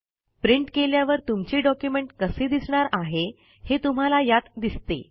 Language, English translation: Marathi, It basically shows how your document will look like when it is printed